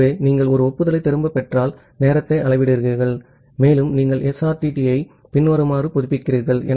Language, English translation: Tamil, So, ah, so, you measure the time if you receive back an acknowledgement and you update the SRTT as follows